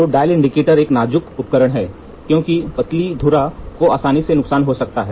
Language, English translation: Hindi, So, the dial indicator is a delicate instrument and as a slender spindle can damage easily